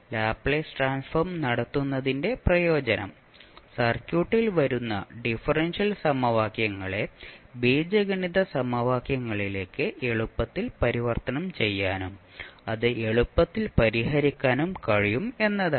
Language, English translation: Malayalam, So the advantage of having the Laplace transform is that the differential equations which are coming in the circuit can be easily converted into the algebraic equations and we can solve it easily